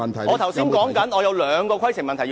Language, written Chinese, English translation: Cantonese, 我正在處理你的規程問題。, I am now handling your point of order